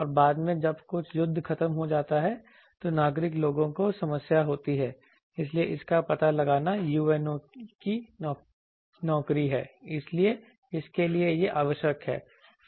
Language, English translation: Hindi, And later when the war is over that possess problem to civilian people, so detection of that is a UNOs job, so this is required for that